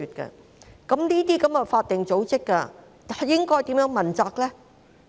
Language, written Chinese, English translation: Cantonese, 就此，這些法定組織又該如何問責呢？, In this connection how should these statutory bodies be held accountable?